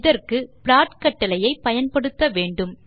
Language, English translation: Tamil, For this we use the plot command